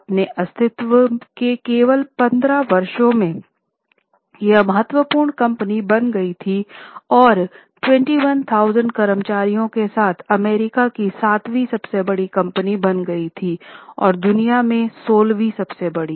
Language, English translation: Hindi, In just 15 years of his existence, it became a very important company, it became the seventh largest company with 21,000 employees, 7th largest in US and 16th largest in the world